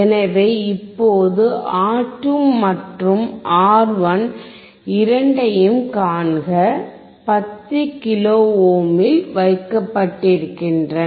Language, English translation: Tamil, So, right now see R2 and R1 both are kept at 10 kilo ohm